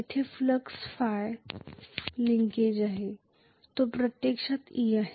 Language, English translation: Marathi, Where phi is the flux linkage, is actually e